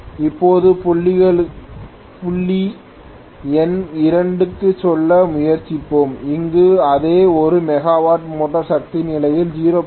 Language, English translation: Tamil, Now, let us try to go to point number 2, where the same 1 megawatt is delivered under motoring condition, under 0